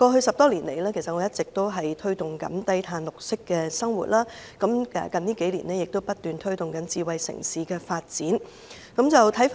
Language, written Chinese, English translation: Cantonese, 十多年來，我一直推動綠色低碳生活，近數年亦不斷推動智慧城市發展。, Over the past decade or so I have been promoting green and low - carbon living . In recent years I also advocated the development of a smart city